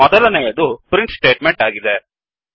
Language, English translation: Kannada, The first one is the print statement